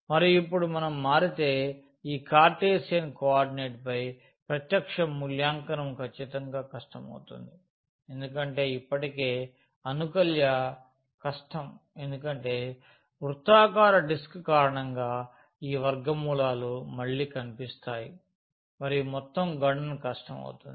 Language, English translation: Telugu, And if we change now because direct evaluation over this Cartesian coordinate will be definitely difficult because of already the integrand is difficult then the limits again this square roots will appear because of the circular disk and overall the computation will be will be difficult